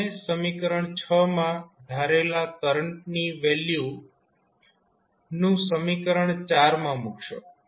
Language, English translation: Gujarati, you put the value of this current I in this equation